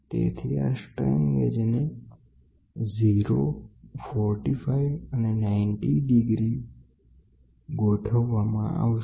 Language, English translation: Gujarati, So, this 3 strain gauges are located at 0 45 and 90 degrees